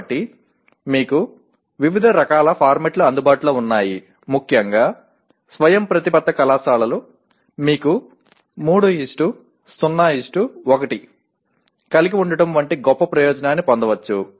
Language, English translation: Telugu, So you have variety of formats available especially the autonomous colleges can take a great advantage of this like you can have 3:0:1